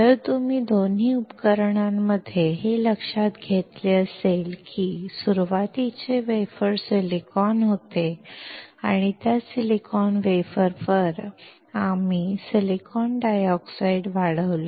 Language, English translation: Marathi, If you have noticed in both the devices, the starting wafer was silicon and on that silicon wafer, we grew silicon dioxide